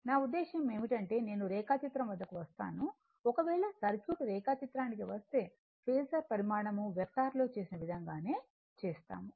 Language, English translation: Telugu, I mean if, I come to the diagram let me clear it , if, I come to the circuit diagram if I come to the circuit diagram it is a Phasor quantity that we do vector same thing